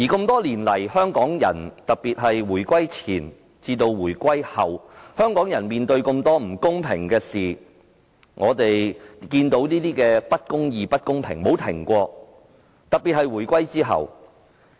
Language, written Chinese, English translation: Cantonese, 多年來，特別是回歸前後，香港人面對很多不公平的事，不公義和不公平的事情從未間斷，特別是在回歸後。, Over the years before and after the reunification in particular Hong Kong people have come across a lot of unfairness and injustices . It seems that unfairness has never ceased especially after the reunification